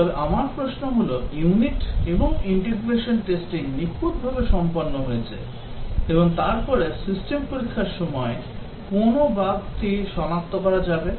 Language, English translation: Bengali, But my question is that unit and integration testing have been perfectly carried out, and then what bug will be detected during system testing